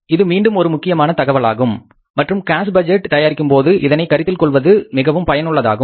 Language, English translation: Tamil, This is again a very important information and worth taking into a consideration while preparing the cash budget